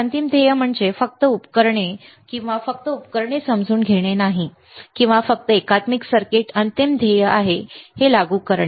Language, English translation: Marathi, So, the final goal is not to understand just the equipment or just the devices or just the integrated circuits final goal is to apply it